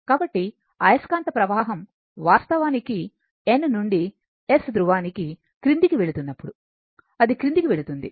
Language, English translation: Telugu, So, when flux actually going to the downwards from N to S pole, right, it is going to the downwards